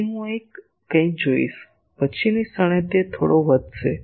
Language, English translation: Gujarati, So, I will see something here, next moment it will rise a bit